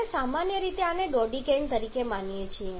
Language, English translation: Gujarati, We commonly assume this one to be dodecane